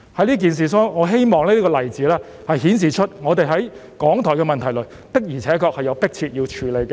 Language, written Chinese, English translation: Cantonese, 在此事上，我希望這個例子足以顯示港台的問題實在是迫切需要處理。, In this regard I hope this example is sufficient to reflect the urgency of tackling the problem of RTHK